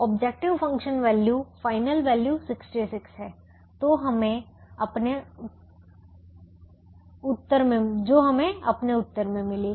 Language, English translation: Hindi, the objective function value is, final value is sixty six, which we got in our answer